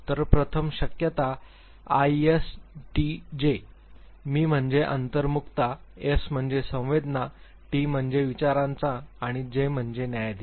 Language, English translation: Marathi, So, the first possibilities ISTJ; I is stands for introversion, S is stands for sensing, T stands for thinking and J stands for judging